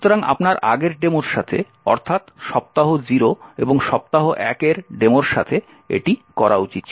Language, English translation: Bengali, So, you should have done it with the previous demos in the week 0 and week 1